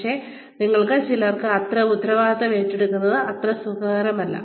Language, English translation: Malayalam, But, some of us, are not very comfortable, taking on that kind of responsibility